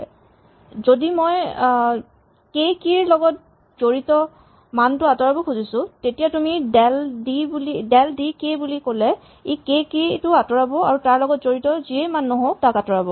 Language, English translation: Assamese, If we want to remove the value associated with the key k then you can del d k and it will remove the key k and whatever values associated with it and removal from it